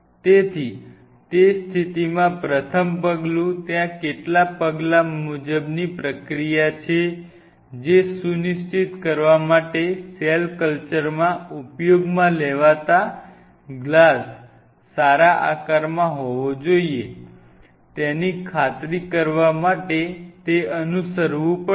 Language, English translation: Gujarati, So, in that situation the first step, there are some step wise procedure which has to be followed in order to ensure that the glass is in a good shape to be used for cell culture and it follows a certain specific protocol